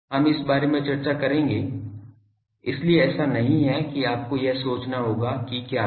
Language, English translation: Hindi, We will discuss about this so it is not that you will have to think what